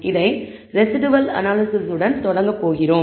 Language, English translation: Tamil, We are going to start with the residual analysis